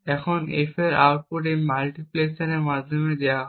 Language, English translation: Bengali, Now the output of F is fed back through this multiplexer and gets latched in this register